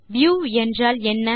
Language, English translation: Tamil, What is a View